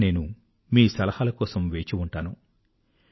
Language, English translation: Telugu, I will keep on waiting for your suggestions